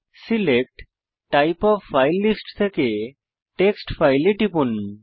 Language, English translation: Bengali, From the Select type of file list, click on Text file